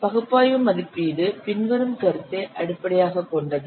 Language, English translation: Tamil, Analytical estimation is based on the following concept